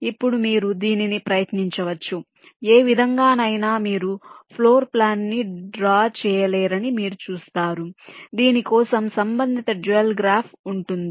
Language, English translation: Telugu, now you can try it out in any way, you will see that you cannot draw a floor plan for which the corresponds dual graph will be this